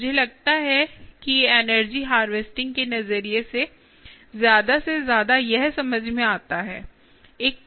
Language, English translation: Hindi, ok, i think more and more from an energy harvesting perspective, this make sense